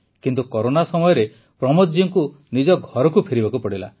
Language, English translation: Odia, But during corona Pramod ji had to return to his home